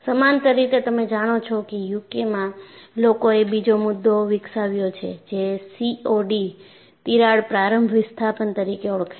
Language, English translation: Gujarati, And parallelly, you know in UK, people developed another concept, which is known as COD, crack opening displacement